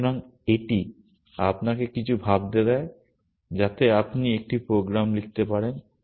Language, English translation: Bengali, So, this also gives you something to think about you can write a program